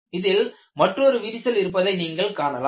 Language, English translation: Tamil, There is another crack here